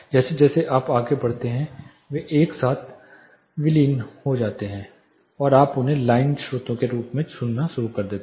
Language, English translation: Hindi, As you go further and further they merge together and you start hearing them as line sources